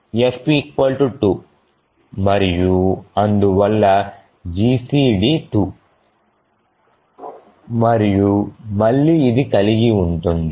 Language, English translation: Telugu, So f is 2 and therefore the GCD is 2 and again this holds